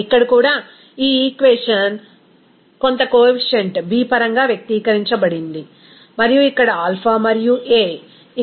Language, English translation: Telugu, Here also this equation expressed in terms of some coefficient b and also here alpha and a